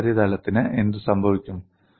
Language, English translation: Malayalam, And what happens to this surface